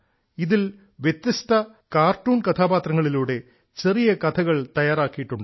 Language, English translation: Malayalam, In this, short stories have been prepared through different cartoon characters